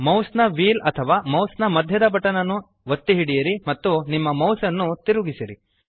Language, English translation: Kannada, Press and hold mouse wheel or middle mouse button and move your mouse